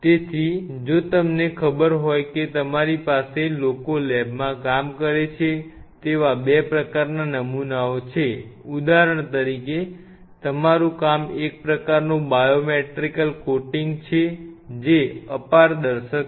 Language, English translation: Gujarati, So, if you know that you have 2 kind of samples its people working in the lab one which will be say for example, your work some kind of biomaterial coating which is opaque